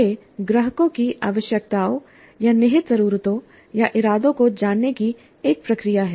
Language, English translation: Hindi, So it is more a process of eliciting the requirements or the implicit needs or the intentions of the customers